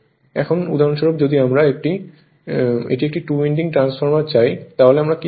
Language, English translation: Bengali, Now for example, if I want it is a two winding transformer, then what I will what we will do